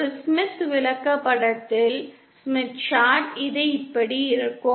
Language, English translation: Tamil, On a Smith Chart this would look like this